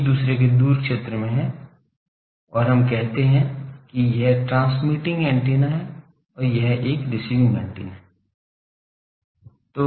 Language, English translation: Hindi, There in the far field of each other and let us say that this is a transmitting antenna, this is a receiving antenna